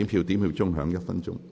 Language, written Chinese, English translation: Cantonese, 表決鐘會響1分鐘。, The division bell will ring for one minute